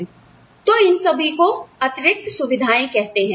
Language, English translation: Hindi, So, all of these are called perquisites